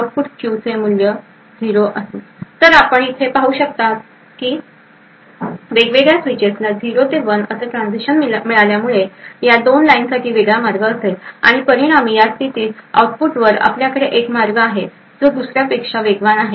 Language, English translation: Marathi, So thus we see over here that providing a rising edge 0 to 1 transition to these various switches would result in a differential path for these 2 lines and as a result, at the output at this particular point we have one path which is faster than the other